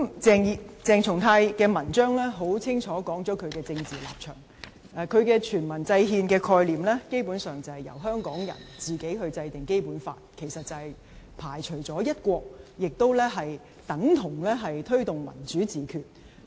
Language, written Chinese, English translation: Cantonese, 鄭松泰的文章清楚說明其政治立場，他的"全民制憲"概念，基本上，是由香港人自行制定《基本法》，其實是排除了"一國"，亦等同推動"民主自決"。, CHENG Chung - tais article clearly illustrates his political stance . His concept of devising the constitution by referendum basically refers to a Basic Law devised by Hong Kong people which indeed is exclusive of one country and thus tantamount to promotion of self - determination